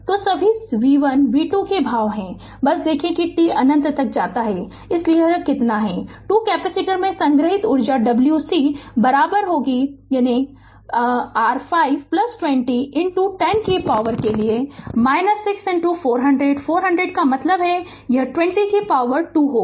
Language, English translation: Hindi, So, all v 1, v 2 expressions are there just see that t tends to infinity how much it is therefore, the energy stored in the 2 capacitors is that is w c is equal to half, that is your 5 plus 20 into 10 to the power minus 6 into 400; 400 means this 20 square right